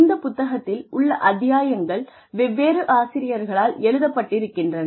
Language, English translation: Tamil, And, different chapters have been written in the book, by different authors